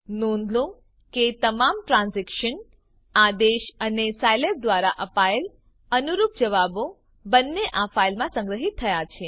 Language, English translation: Gujarati, Note that all transactions, both commands and the corresponding answers given by Scilab, have been saved into this file